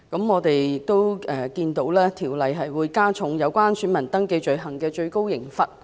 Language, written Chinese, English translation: Cantonese, 我們看到，《條例草案》加重了有關選民登記罪行的最高懲罰。, We can see that the Bill increases the maximum penalties for offences relating to voter registration